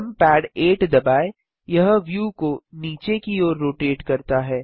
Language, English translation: Hindi, Press numpad 8 the view rotates downwards